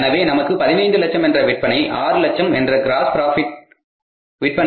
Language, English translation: Tamil, So, we are having the gross profit of 6 lakhs against the total sales of 15 lakhs